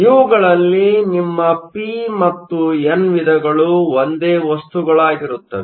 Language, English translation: Kannada, So, in this case p and n are different materials